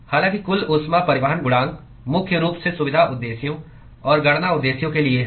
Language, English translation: Hindi, However, overall heat transport coefficient is mainly for convenience purposes and for calculation purposes